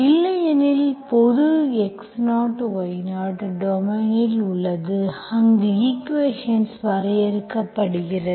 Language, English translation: Tamil, Otherwise general x0, y0 which is in your domain, where the equation is defined